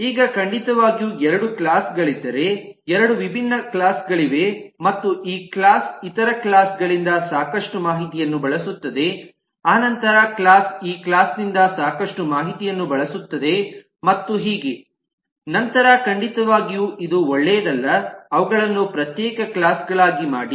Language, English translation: Kannada, certainly, if two classes are, there are two different classes and there is a lot of coupling, that this class uses a lot of information from the other classes, that class uses a lot of information from this class, and so on, then certainly it may not have been a good idea to make them as separate classes